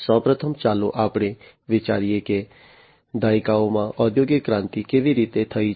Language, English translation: Gujarati, So, first of all let us think about, how the industrial revolution has happened over the decades